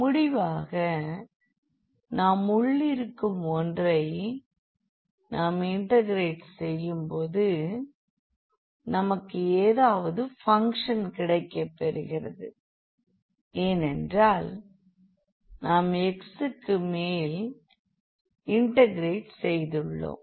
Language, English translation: Tamil, So, as a result when we integrate the inner one we will get some function because, over x we have integrated